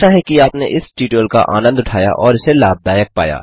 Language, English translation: Hindi, So we hope you have enjoyed this tutorial and found it useful